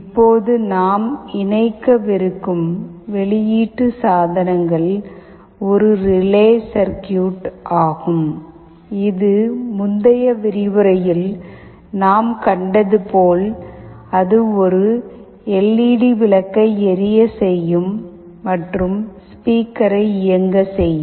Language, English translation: Tamil, Now, the output devices that we shall be interfacing are one relay circuit that will again be driving a LED bulb as we have seen in the earlier lecture, and a speaker